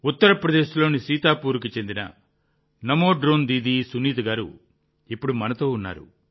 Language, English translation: Telugu, Namo Drone Didi Sunita ji, who's from Sitapur, Uttar Pradesh, is at the moment connected with us